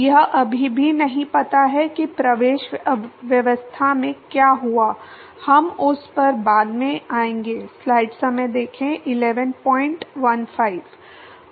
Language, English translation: Hindi, It is still do not know what happened in the entry regime we will come to that later